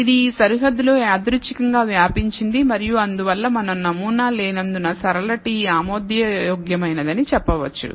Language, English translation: Telugu, It is spread randomly within this boundary and therefore, we can say since there is no pattern a linear t is acceptable